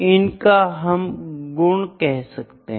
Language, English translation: Hindi, So, these are known as attributes